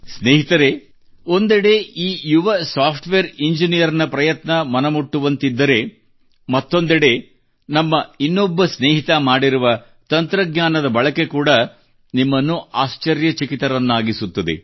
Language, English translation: Kannada, Friends, on the one hand this effort of a young software engineer touches our hearts; on the other the use of technology by one of our friends will amaze us